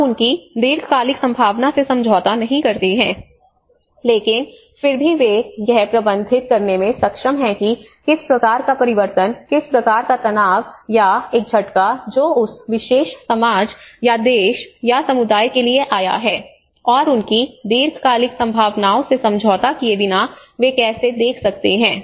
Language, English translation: Hindi, So you do not compromise their long term prospect, but still they are able to manage you know what kind of change, what kind of stress or a shock which has come to that particular society or a country or a community and how they could able to look at that without compromising their long term prospects